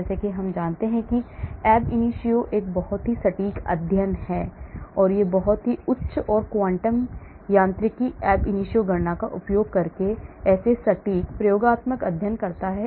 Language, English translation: Hindi, as I said ab initio is a very accurate study and it perform such very accurate experimental studies using very high and quantum mechanics ab initio calculation